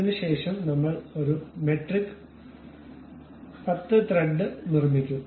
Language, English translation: Malayalam, After that we will go construct a metric 10 thread